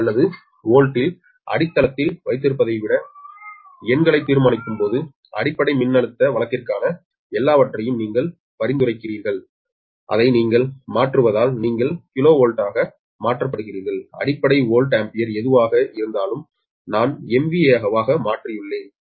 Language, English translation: Tamil, actually, when we solved numericals, rather than keeping base in k v a, v a or volt, my suggestion is everything you per base voltage case, you transform it to you cons, a, you converted to kilovolt and whatever may be the base, ah, volt, ampere, all that i have converted to m v a